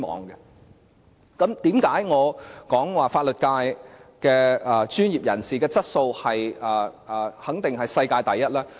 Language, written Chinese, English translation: Cantonese, 為甚麼我說香港的法律界專業人士的質素肯定是世界第一？, Why do I say that the quality of the professionals in Hong Kongs legal sector is definitely the best in the world?